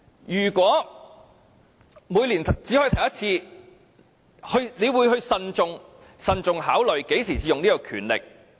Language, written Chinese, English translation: Cantonese, 如果每年只可以提出一次，議員便會慎重考慮何時才使用這項權力。, A Member will be very careful in considering when to exercise this right if he can only raise one urgent question per year